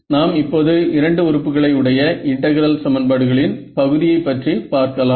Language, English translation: Tamil, Now, we go to the case of the integral equations for two elements right